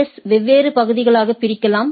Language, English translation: Tamil, So, an AS can be divided into different areas